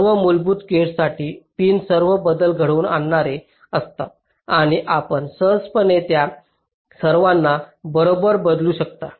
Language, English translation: Marathi, for all the basic gates, the pins are all commutative and you can easily swap all of them, right